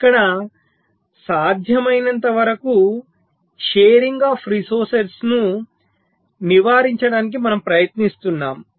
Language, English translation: Telugu, so here we are trying to avoid the sharing of resources as much as possible